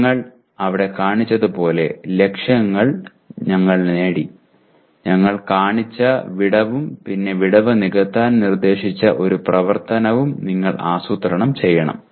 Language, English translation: Malayalam, We got the target as we showed there and the gap also we have shown and then you have to plan an action proposed to bridge the gap